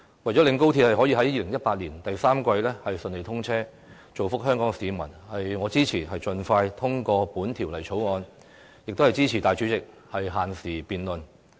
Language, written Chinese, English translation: Cantonese, 為了令高鐵可在2018年第三季順利通車，造福香港市民，我支持盡快通過《條例草案》，亦支持大會主席作限時辯論。, In order to facilitate the commissioning of XRL in the third quarter of 2018 to benefit the general public I support the expeditious passage of the Bill as well as the Presidents decision to limit the debate time